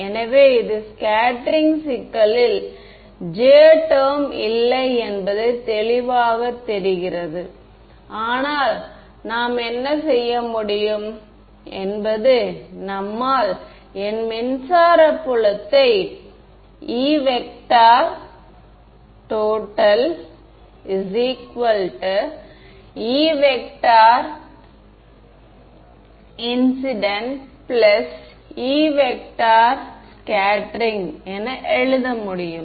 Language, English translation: Tamil, So, this is; obviously, clear that there is no J term in scattering problem, but what we can do is we can write down my E electric field as E incident plus E total and